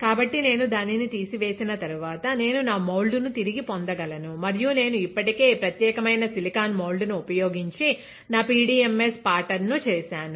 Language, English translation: Telugu, So, after I strip it off, I can get back my mould; and I have already patterned my PDMS using this particular silicon mould